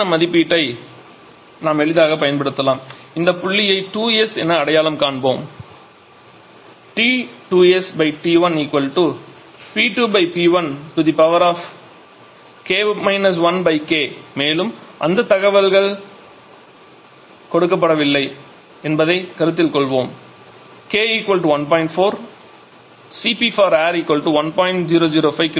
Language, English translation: Tamil, We can easily use the value for this let us identify this point as 2S, so we know that T 2S upon T 1 will be equal to P 2 upon P 1 to the power K 1 upon K those information’s are not given let us consider K = 1